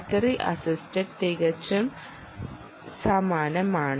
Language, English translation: Malayalam, battery assisted is also quite similar